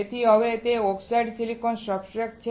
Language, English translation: Gujarati, So now, it is oxidized silicon substrate